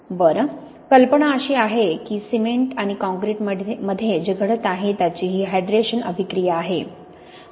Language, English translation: Marathi, Well, the idea is that what is happening in cements and concrete is you have this hydration reaction